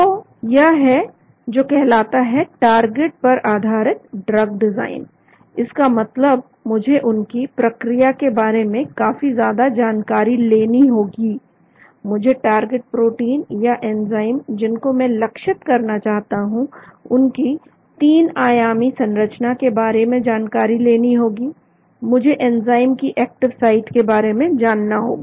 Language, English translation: Hindi, So this is what is called as target based drug design, that means I need to know a lot of about their mechanism, I need to know the 3 dimensional structure of the target protein or enzyme which I want to focus on, I need to know the active site of this enzyme